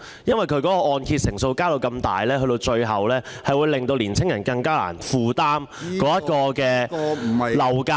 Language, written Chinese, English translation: Cantonese, 大幅提升按揭成數，最終將令青年人更難負擔樓價......, A substantial raise in the loan‑to‑value ratios will eventually push property prices up to a level that is even more unaffordable to young people